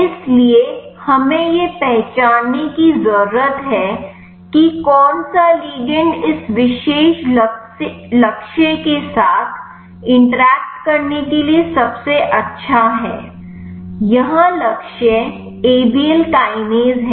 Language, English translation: Hindi, So, we need to identify which ligand is the best to interact with this particular target here the target is Abl kinase